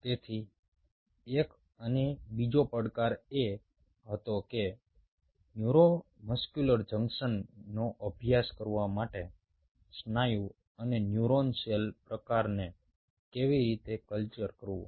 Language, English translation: Gujarati, so one and the other challenge was how to co culture a muscle and a neuron cell type to study neuromuscular junction